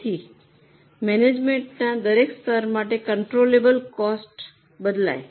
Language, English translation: Gujarati, So, for each level of management, the controllable cost changes